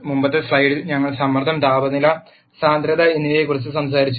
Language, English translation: Malayalam, In the previous slide, we talked about pressure, temperature and density